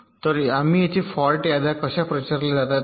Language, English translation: Marathi, so here we shall see how fault lists are propagated